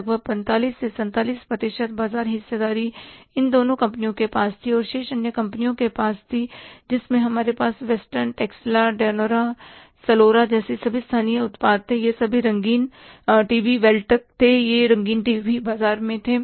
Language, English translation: Hindi, About 45 to 47% market share was with these two companies and remaining was with other companies where we had the local products like Western, Texla, Dianora, Solora, all these TVs, Beltec, these color TVs were there in the market